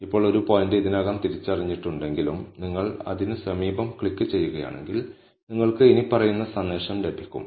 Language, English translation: Malayalam, Now, if a point has already been identified and you still click near it, then you will get the following message